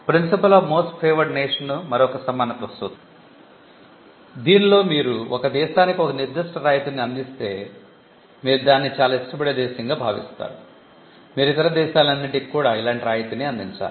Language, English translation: Telugu, The most favored nation treatment is another equality principle, wherein if you offer a particular concession or a treatment to one country, you treat that as a most favored country, you should offer similar treatment to all other countries as well